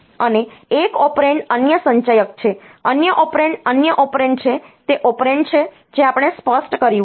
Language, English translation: Gujarati, And one operand is the accumulator the other, other operand is the other operand is the operand that we have specified